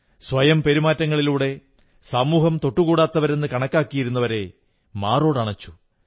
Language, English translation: Malayalam, Through his own conduct, he embraced those who were ostracized by society